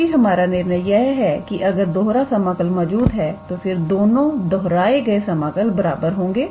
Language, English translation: Hindi, Because, our conclusion is if the double integral exists then both the repetitive integral must be equal